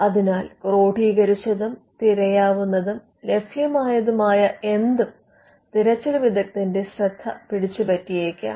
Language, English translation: Malayalam, So, anything that is codified and searchable, and available to the searcher may catch the attention of the searcher